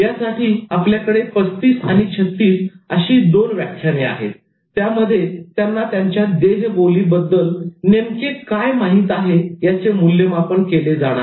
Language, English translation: Marathi, So we had two lectures, lecture 35 as well as 36 and it was completely an assessment of what they know about body language